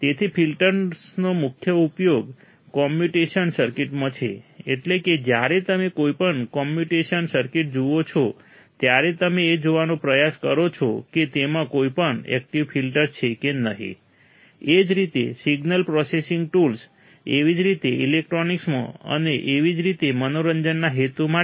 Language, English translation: Gujarati, So, main application of filters are in communication circuits so that means, when you see any communication circuit, you try to see whether it has some active filters or not, same way signal processing tools, same way in electronics and same way for entertainment purpose